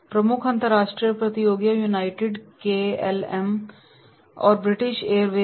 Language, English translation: Hindi, Key international competitors are United, KLM and British Airways